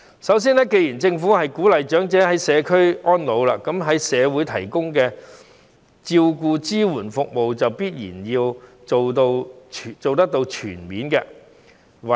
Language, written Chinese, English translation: Cantonese, 首先，既然政府鼓勵長者居家安老，那麼在社會提供的照顧支援服務就必然要做得全面。, First of all since the Government encourages the elderly to age in the community the community care and support services should be comprehensively provided